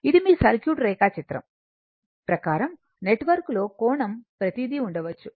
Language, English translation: Telugu, It may be in according to your circuit diagram network, angle everything right